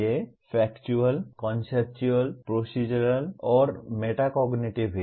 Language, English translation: Hindi, These are Factual, Conceptual, Procedural, and Metacognitive